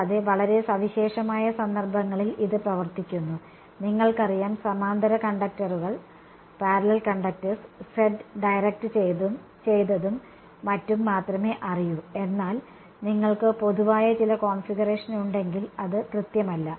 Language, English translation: Malayalam, And, that that works for very special cases of you know parallel conductors only Z directed and so on, but if you have some general configuration it is not accurate